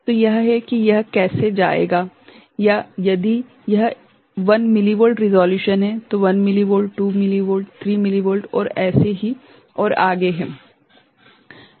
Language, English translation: Hindi, So, that is how it will go or if it is a 1 millivolt resolution is there 1 millivolt, 2 millivolt, 3 millivolt and so on and so forth